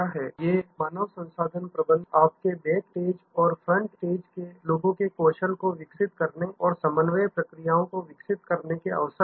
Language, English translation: Hindi, These are opportunities for human resource management developing the skills of your backstage and front stage people and developing the coordination processes